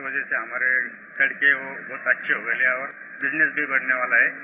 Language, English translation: Hindi, As a result of this, our roads have improved a lot and business there will surely get a boost